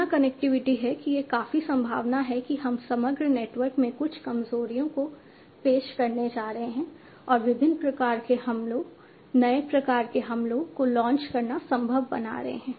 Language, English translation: Hindi, So, so much of connectivity is there that it is quite likely that we are going to introduce some vulnerabilities in the overall network and making it possible for different types of attacks, newer types of attacks to be launched